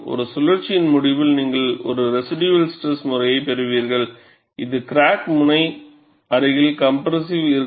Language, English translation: Tamil, At the end of one cycle, invariably, you will have a residual stress pattern, which is compressive, near the crack tip and tension ahead